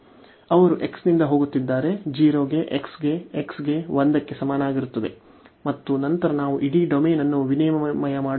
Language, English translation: Kannada, They are going from x is equal to 0 to x is equal to 1 and then we are swapping the whole domain